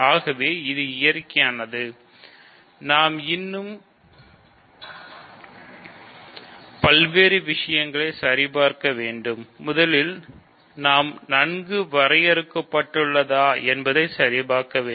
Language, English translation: Tamil, So, this is natural to do still we have to check various things, we have to check first of all that it is well defined